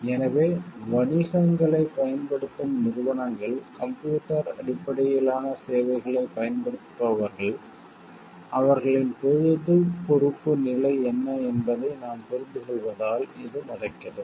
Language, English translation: Tamil, So, it so happens because we understand like whether organizations who are using businesses who are using computer based services, what is the level of their public accountability